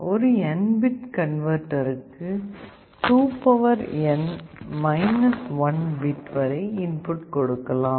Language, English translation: Tamil, For an N bit converter you can go up to 2N 1